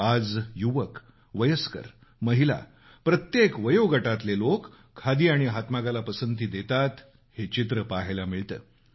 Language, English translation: Marathi, One can clearly see that today, the youth, the elderly, women, in fact every age group is taking to Khadi & handloom